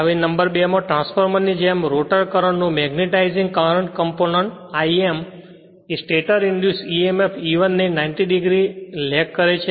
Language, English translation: Gujarati, So, number 2 like in a transformer the magnetizing current component I m of the stator current lags the stator induced emf E1by 90 degree same as before